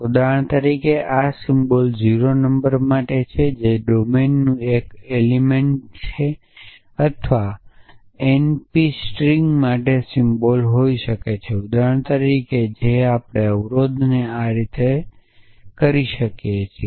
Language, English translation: Gujarati, So, this symbol for example, might stand for the number 0 which is a element of a domine or this might stands for n p string or a symbol liked might stands for example, which is we can treat to be constraint and so on